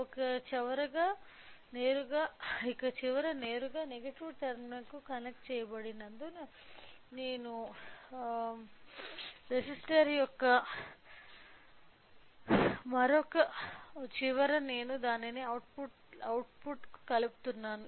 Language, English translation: Telugu, Since one end is directly connected to the negative terminal other end of the resistor I am connecting it to the output